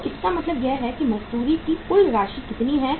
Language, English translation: Hindi, So it means this total amount of the wages is how much